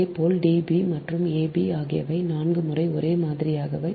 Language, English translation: Tamil, and similarly, d b dash and a dash, b dash, they are same